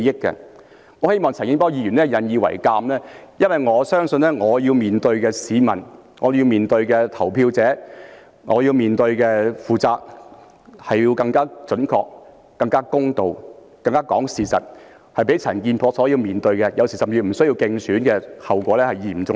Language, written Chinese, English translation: Cantonese, 我希望陳健波議員引以為鑒，因為我相信我要面對的市民、我要面對的投票者、我要面對的責任，是要更加準確、更加公道、更加講事實，較陳健波這些有時不需要競選的議員所要面對的，後果更為嚴重。, I hope Mr CHAN Kin - por can draw reference from this because I believe I need accuracy fairness and truth all the more to face the people the voters and my responsibility; what I face is a more serious consequence that does not have to be faced by the Members who sometimes need not contest in elections such as Mr CHAN Kin - por